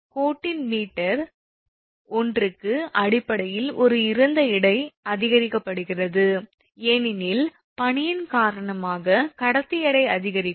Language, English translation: Tamil, Basically one is increased the dead weight per meter of the line, because of ice that conductor weight will increase